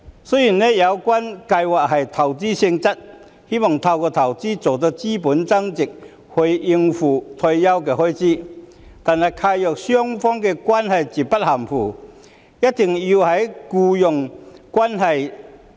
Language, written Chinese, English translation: Cantonese, 雖然有關計劃屬投資性質，希望透過投資令資本增值以應付退休開支，但契約雙方的關係絕不含糊，必須存在僱傭關係。, Although the schemes are of investment nature to achieve capital gain through investments for meeting post - retirement expenses the contractual relationship between the two parties is unequivocal in that the two parties must have an employment relationship